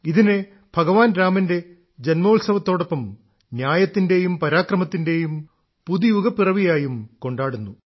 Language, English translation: Malayalam, It is also celebrated as the birth anniversary of Lord Rama and the beginning of a new era of justice and Parakram, valour